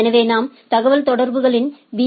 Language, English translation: Tamil, So, what we look at the communication